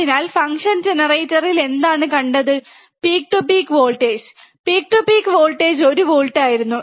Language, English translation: Malayalam, So, we have seen in function generator what was the peak to peak voltage, peak to peak voltage was one volt, right